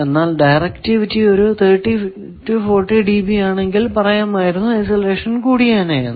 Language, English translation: Malayalam, If directivity instead could have been 30 40 db you say isolation also could have been increased a lot